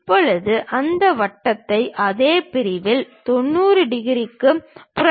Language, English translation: Tamil, Now, flip that circle into 90 degrees on the same section show it